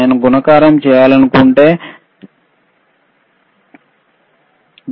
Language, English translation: Telugu, So, I want to do a multiplication for example